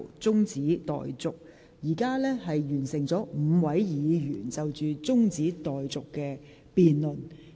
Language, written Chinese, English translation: Cantonese, 現在已有5位議員就中止待續議案發言。, Five Members have already spoken on the adjournment motion